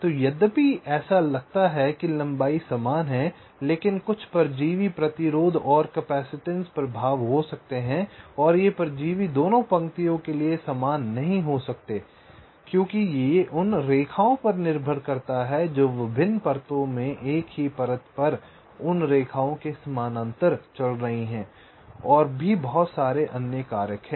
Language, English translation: Hindi, so, although it looks like the lengths are equal, but there can be some parasitic, resistance and capacitance effects, right, and these parastics may not be the same for both the lines because it depends on the lines which are running parallel to those lines on the same layer across different layers